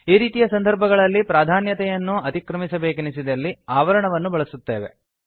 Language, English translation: Kannada, In such situations, if we need to override the precedence, we use parentheses